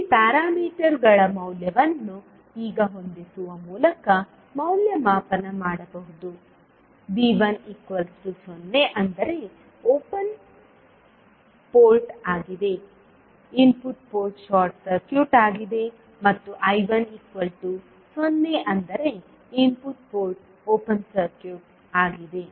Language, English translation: Kannada, Here the value of parameters can be evaluated by now setting V 1 is equal to 0 that means input port is short circuited and I 1 is equal to 0 that means input port is open circuited